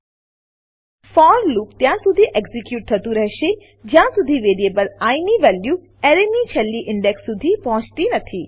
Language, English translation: Gujarati, The for loop will execute till the value of i variable reaches the last index of an array